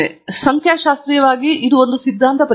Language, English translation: Kannada, Now, statistically thatÕs a hypothesis test